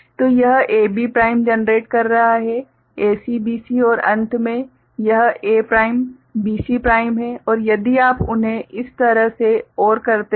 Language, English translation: Hindi, So, it is generating A B prime; AC BC and finally, this is A prime, B C prime right and then if you OR them this way